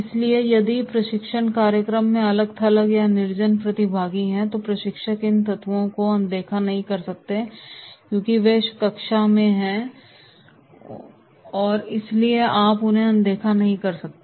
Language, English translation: Hindi, So if there are detached or disinterested participants are there in the training program, trainer cannot ignore these elements because they are in the classroom so you cannot ignore them